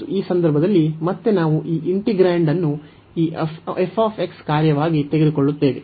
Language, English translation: Kannada, And in this case again, we take this integrand as this f x function